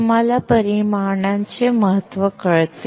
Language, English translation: Marathi, You understand the importance of dimensions